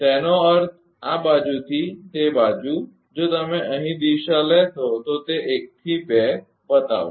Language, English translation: Gujarati, That means, from this side to that side if you take here direction is showing that 1 to 2